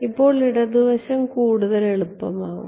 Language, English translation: Malayalam, So, the left hand side is going to be easy